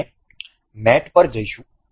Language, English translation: Gujarati, We will go to mate